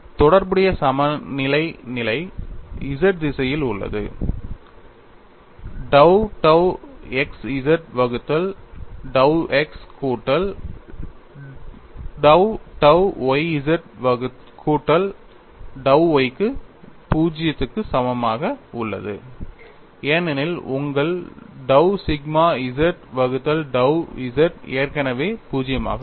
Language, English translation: Tamil, The relevant equilibrium condition is in the z direction dou xz divided by dou x plus dou yz plus dou y equal to 0 because your dou sigma z divided dou z is already 0